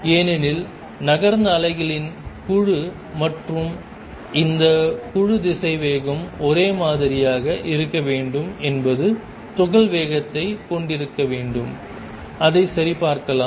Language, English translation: Tamil, Because the group of waves that has moved and this group velocity should be the same should be the same has the speed of particle and let us check that